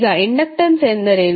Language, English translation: Kannada, Now, inductance is what